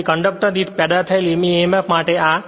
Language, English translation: Gujarati, Therefore, emf generated per conductor this is your d phi dash by d t